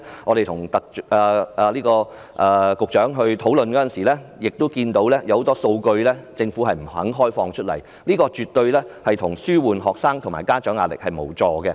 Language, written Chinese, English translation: Cantonese, 我們昨天與局長討論時注意到政府不肯公開很多數據，這絕對無助紓緩學生及家長的壓力。, Yesterday when we were having a discussion with the Secretary I noticed that the Government was not willing to release many figures . That kind of attitude is definitely not conducive to alleviating pressure on students and parents